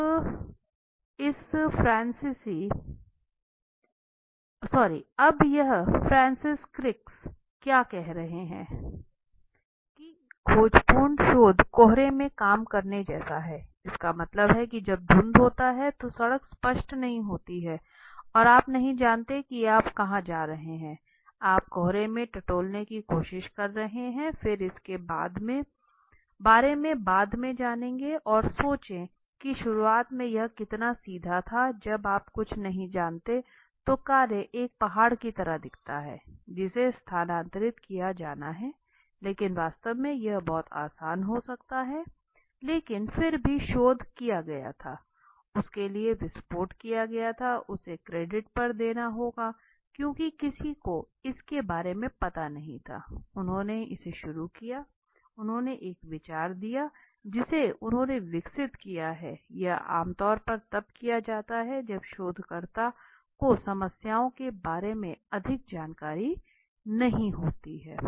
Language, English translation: Hindi, Now what is this saying Francis crick says exploratory research is like working in a fog it means when that is in the fog mist so it is not the road is not clear you do not know where you are going you are just groping you are just trying to grope in the fog then people learn about it afterwards and think how straight forward it was initially when you do not know something it looks like task it looks like a mountain to be moved but actually it might be very easy but still the research was done it was exploded it for him it has to be given on the credit because nobody knew about it he started it he found he gave an idea he developed it is usually conducted when the researcher exploratory background is it is usually conducted when the researcher does not know more much about the problems right